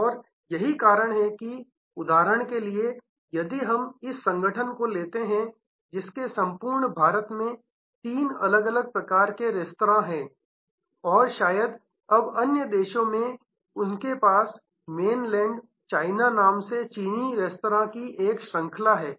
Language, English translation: Hindi, And that is why in a, say for example, if we take this organization, which has three different types of restaurants across India and perhaps, now in other countries they have a chain of Chinese restaurants called Mainland China